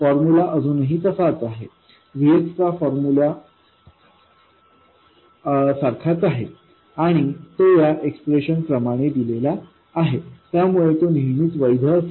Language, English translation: Marathi, The formula is still exactly the same, the formula for that VX and it is given by this expression